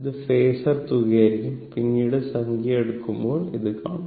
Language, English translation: Malayalam, It will be phasor sum , we will see that later when we will take the numerical, right